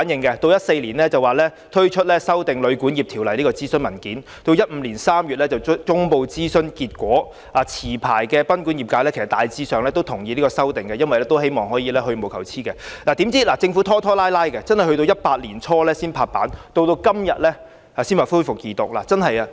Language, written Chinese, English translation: Cantonese, 2014年，政府發出修訂《旅館業條例》的諮詢文件 ，2015 年3月公布諮詢結果，持牌賓館業界大致同意有關修訂，希望有關修訂能助業界去蕪存菁，可是，政府卻拖拖拉拉至2018年年初才拍板，到今天才恢復《條例草案》的二讀辯論。, In 2014 the Government published a consultation paper on the amendments to the Hotel and Guesthouse Accommodation Ordinance and announced the outcome of the consultation in March 2015 . In general members of the licensed guesthouse industry agreed to the amendments concerned and hoped that the amendments would help to eliminate the unscrupulous members of the industry . But the Government had been so dilatory that it only made the final decision in early 2018 and resumed the Second Reading debate on the Bill today